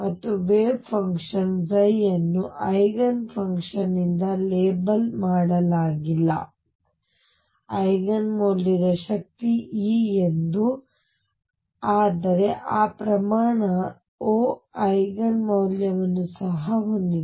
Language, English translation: Kannada, And the wave function psi is not only labeled by Eigen function Eigen value of energy e, but also the Eigen value of that quantity O